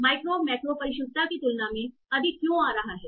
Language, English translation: Hindi, So why micro is coming out to be higher than macro precision